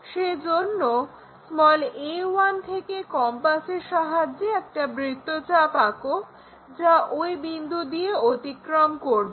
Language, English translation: Bengali, So, if we are picking this a 1 compass draw an arc, it goes via that point